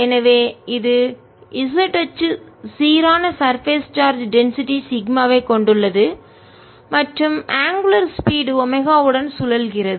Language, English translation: Tamil, therefore, this is the z axis, carries the uniform surface charge, density, sigma and is rotating with angular speed, omega